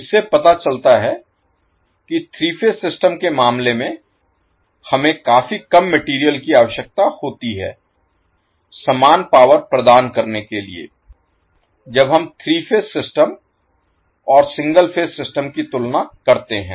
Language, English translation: Hindi, So this shows that incase of three phase system, we need considerably less material to deliver the same power when we compare with the three phase system and the single phase system